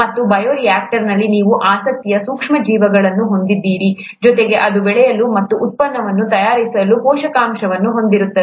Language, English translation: Kannada, And, in the bioreactor, you have the micro organism of interest, along with the nutrients for it to grow and make the product